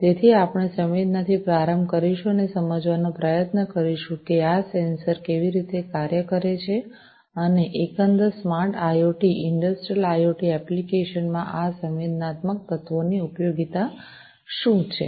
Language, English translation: Gujarati, So, we will start with sensing and try to understand how these sensors work and what is the utility of these sensing elements in the overall smart IoT, Industrial IoT applications